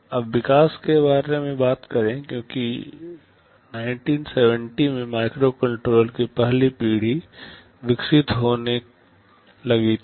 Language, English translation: Hindi, Now, talking about evolution, since the 1970’s the 1st generation of microcontroller started to evolve